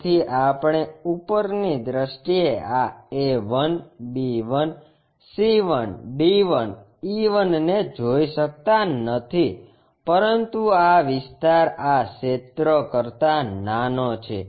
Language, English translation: Gujarati, So, we cannot really sense this A 1, B 1, C 1, D 1, E 1 in the top view, but this area smaller than this area